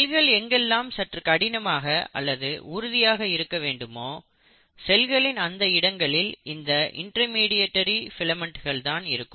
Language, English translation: Tamil, So in regions of the cell where there has to be much more rigidity required you will find that the cell consists of intermediary filaments